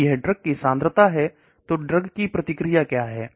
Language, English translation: Hindi, So if this is the concentration of the drug what is the response